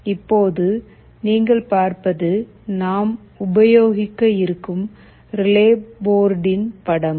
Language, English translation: Tamil, As you can see this is a picture of the relay board that we shall be using